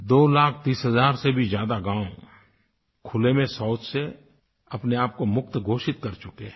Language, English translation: Hindi, More than two lakh thirty thousand villages have declared themselves open defecation free